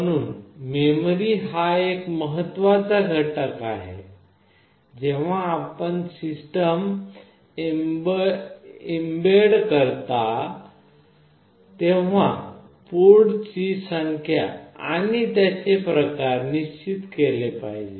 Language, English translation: Marathi, So, memory is an important factor that is to be decided when you develop and embedded system, number of ports and their types